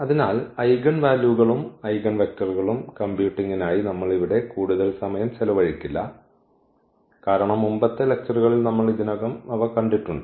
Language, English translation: Malayalam, So, here we will not spend much of our time for computing eigenvalues and eigenvectors, because that we have already seen in previous lectures